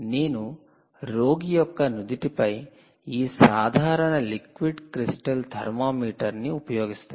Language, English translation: Telugu, use this simple liquid crystal thermometer on your forehead